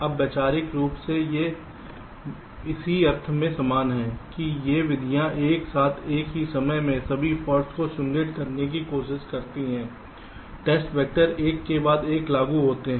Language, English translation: Hindi, now, conceptually they are similar in this sense that these methods try to simulate all the faults at the same time, together with test vectors applied on after the other